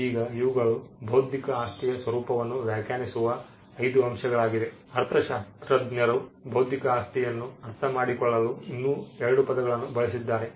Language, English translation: Kannada, Now, these are 5 points which we have we have tried to pull out which define the nature of the intellectual property, economists have also used 2 more terms to understand intellectual property